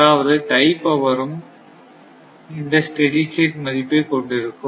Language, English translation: Tamil, So, that is the tie power also will have this steady state value, right